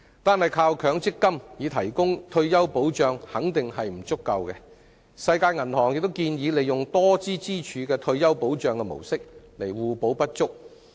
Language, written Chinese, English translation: Cantonese, 單靠強積金，固然不足以提供退休保障，世界銀行亦建議利用多支柱的退休保障模式以互補不足。, The MPF System alone is certainly insufficient for providing retirement protection and the World Bank has also suggested applying a multi - pillar retirement protection model to make up for each others deficiencies